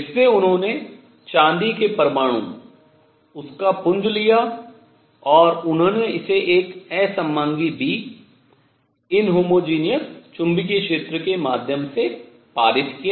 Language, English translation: Hindi, In which they took silver atoms, their beam and they passed it through an inhomogeneous B, inhomogeneous magnetic field